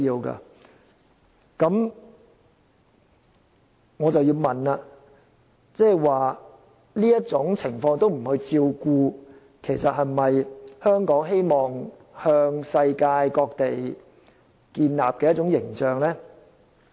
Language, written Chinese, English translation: Cantonese, 那麼，我要問的是，如果我們不去照顧這種情況下的人士，其實這是否香港希望向世界各地展現的一種形象呢？, Such being the case I have to ask this If we do not take care of these people in this situation is this actually the kind of image that Hong Kong wishes to show to the rest of the world?